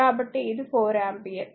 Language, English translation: Telugu, So, this is your 4 ampere